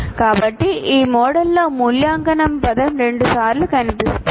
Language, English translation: Telugu, So that is why evaluate word appears twice in this model